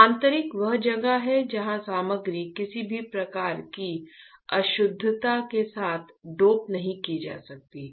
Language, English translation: Hindi, Intrinsic is where the material is not doped with any kind of impurity